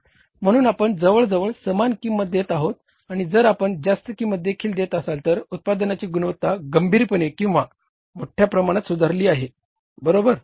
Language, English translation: Marathi, So we are almost paying the same price and if we are paying the higher price also the quality of the product has seriously improved or largely improved, right